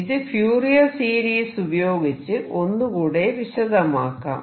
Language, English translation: Malayalam, Let me explain this through Fourier series